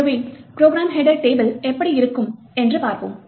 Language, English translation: Tamil, So, we will look how the program header table looks like